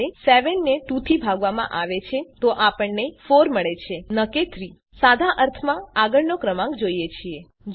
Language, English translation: Gujarati, Which means, when 7 is divided by 2, we get 4 and not 3 In simple terms, we need the next number